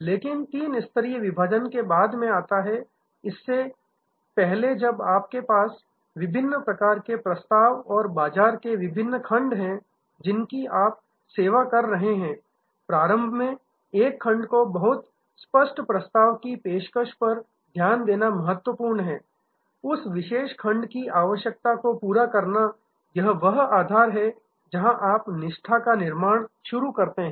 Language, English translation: Hindi, But, before the three tier segregation comes much later, when you have different types of offerings and different segments of market that you are serving, initially it is important to focus on one segment and very clear cut offering, matching the requirement of that particular segment that is the foundation, where you start building loyalty